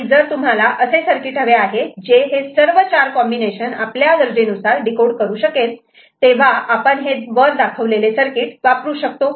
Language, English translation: Marathi, So, if you want to have a circuit which can decode all four possible combination depending on our requirement, we can make use of one or the other